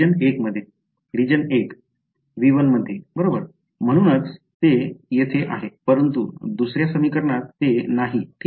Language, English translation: Marathi, In region 1 in V 1 right that is why it is there here, but in the 2nd equation it is not there ok